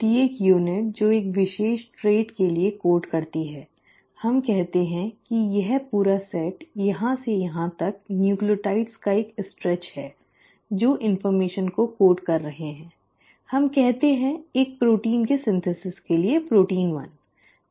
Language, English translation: Hindi, Each unit which codes for a particular trait, let us say this entire set from here to here has a stretch of nucleotides which are coding information, let us say, for synthesis of a protein, protein 1